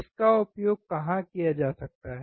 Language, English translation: Hindi, Where can it be used